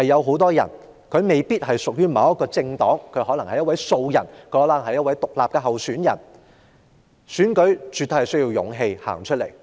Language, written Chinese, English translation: Cantonese, 很多候選人未必屬於某一政黨，可能是一位素人或獨立參選，而參選絕對需要勇氣。, Many candidates may not have political affiliation . They may be political greenhorns or independent candidates and it takes much courage to run for election